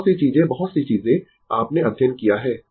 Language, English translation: Hindi, Many thing many things you have studied